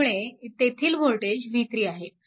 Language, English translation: Marathi, So, this voltage is v 3 right